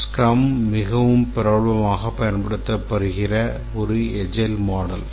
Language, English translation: Tamil, Scrum is a very popular agile model which is being used